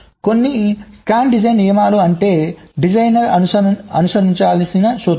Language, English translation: Telugu, ok, so some of the scan design rules, means have been formulated which a designer needs to follow